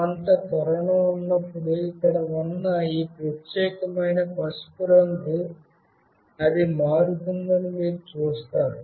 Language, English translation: Telugu, And you see that whenever there is some acceleration, this particular yellow thing that is there it changes